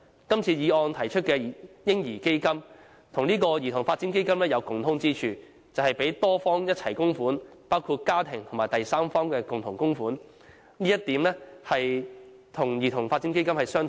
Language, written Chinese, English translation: Cantonese, 今次議案提出的"嬰兒基金"，與這個兒童發展基金有共通之處，便是由多方共同供款，包括家庭及第三方的共同供款，這一點與兒童發展基金相同。, The baby fund proposed under the present motion is similar to CDF in the sense that it relies on joint contribution from various parties including families and third parties . In this aspect the baby fund and CDF are the same